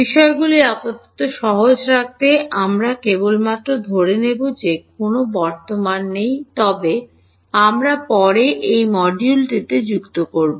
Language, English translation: Bengali, To keep matters simple for now we will just we will assume that there is no current, but we will add it in later in the module ok